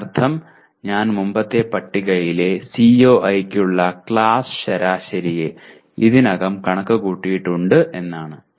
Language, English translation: Malayalam, That means I have already computed the class average for CIE in the previous table